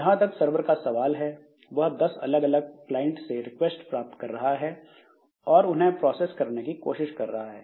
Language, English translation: Hindi, So, as far as the server is concerned, so it is getting request from 10 different clients and it is trying to process them